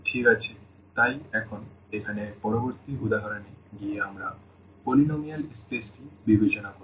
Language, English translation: Bengali, Well, so, now going to the next example here we will consider the polynomial space